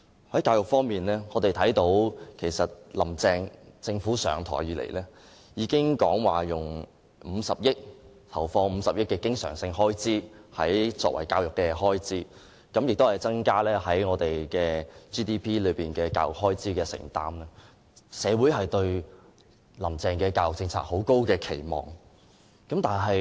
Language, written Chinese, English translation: Cantonese, 在教育方面，我們看到"林鄭"政府上任後，已經說會投放50億元作為教育方面的經常開支，亦會增加教育開支佔 GDP 的比例，社會因此對"林鄭"的教育政策有很高的期望。, On education we saw that right after its assumption of office the Carrie LAM Administration said that it would inject 5 billion as recurrent expenditure for education . It would also increase the proportion of education expenditure in GDP . Society thus holds a high expectation on Carrie LAMs education policy